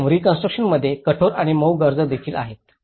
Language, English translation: Marathi, In the permanent reconstruction, there is also the hard and soft needs